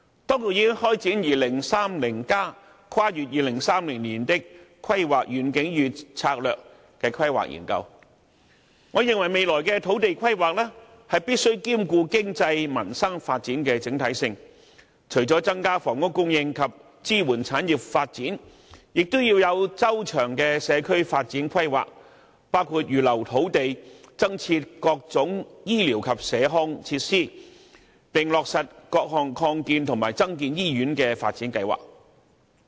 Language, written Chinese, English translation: Cantonese, 當局已開展《香港 2030+： 跨越2030年的規劃遠景與策略》規劃研究，我認為未來的土地規劃，必須兼顧經濟民生發展的整體性，除了增加房屋供應及支援產業發展，也要有周詳的社區發展規劃，包括預留土地，增設各種醫療及社康設施，並落實各項擴建和增建醫院的發展計劃。, The Administration has commenced the Hong Kong 2030 Towards a Planning Vision and Strategy Transcending 2030 planning study . In my opinion future land planning must take into account both economic development and peoples livelihood in a holistic manner . Apart from increasing housing supply and supporting the development of industries comprehensive community development planning should be conducted including reserving land for various healthcare and community facilities as well as for hospital expansion projects